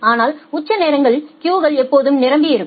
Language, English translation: Tamil, But in the peak hours the queues are always full